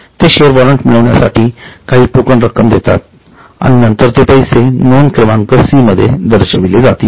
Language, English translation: Marathi, They pay some token money to receive the share warrant and that money is shown in item number C